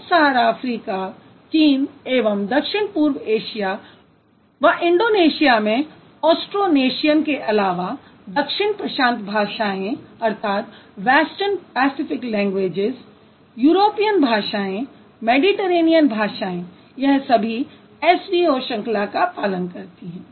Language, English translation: Hindi, Sub Saharan Africa, the area that includes China and Southeast Asia into the Austro National languages of Indonesia, plus the Western Pacific languages, European languages, Mediterranean languages, all of them they are following S V O